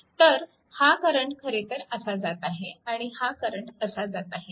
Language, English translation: Marathi, So, this current actually and this current is going like this and this one going like this right